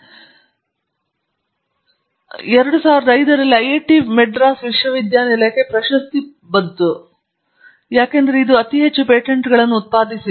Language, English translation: Kannada, We used to be five and this is a very amusing because in 2005, IIT Madras got the award for the University that produce the largest number of patents